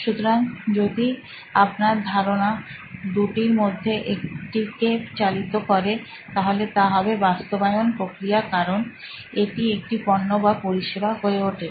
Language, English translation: Bengali, So if your ideas can lead to one of these, then usually this is the process of implementation, in it becoming a product or a service